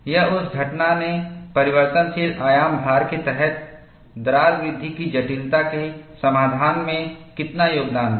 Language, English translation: Hindi, Or how much that phenomenon contributed to the resolution of the complexity of crack growth, under variable amplitude loading